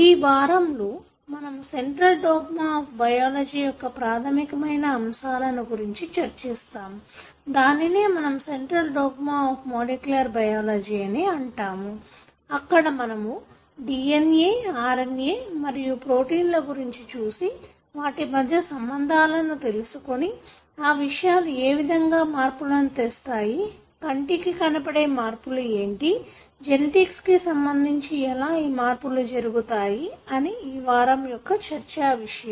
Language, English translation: Telugu, So, this week we will be discussing about the fundamentals of central dogma of biology, what you call as central dogma of molecular biology, where we will be looking into the DNA, RNA and protein, how they are connected, how the information is processed and how that brings about the changes, that visible changes that you see and also as to how changes in your genetic makeup may change the way the information is processed